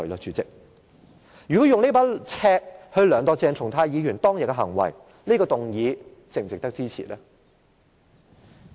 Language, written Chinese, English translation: Cantonese, 主席，如果以這把尺來量度鄭松泰議員當天的行為，這項譴責議案是否值得支持呢？, President if this rule is used to assess the conduct of Dr CHENG Chung - tai on that day will the censure motion merit support?